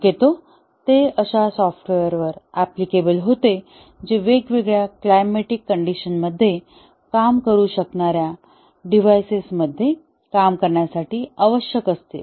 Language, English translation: Marathi, Possibly, applicable to software that is required to work in devices which might work in different climatic conditions